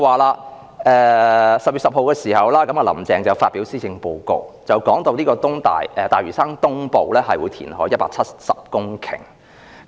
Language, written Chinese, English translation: Cantonese, "林鄭"在10月10日發表施政報告，談及會在大嶼山東部填海 1,700 公頃。, Carrie LAM presented her Policy Address on 10 October proposing the reclamation of 1 700 hectares of land at East Lantau